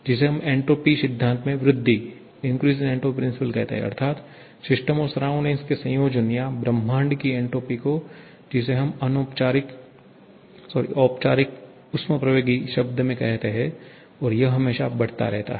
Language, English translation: Hindi, This is what we call the increase in entropy principle that is increase sorry the entropy of the system surrounding combination or entropy of the universe is what we tell in formal thermodynamics term, this always increasing